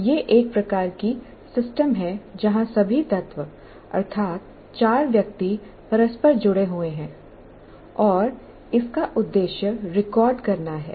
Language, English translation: Hindi, So what happens, This is a kind of a system where all the elements, namely the four people, are interrelated and the purpose is to record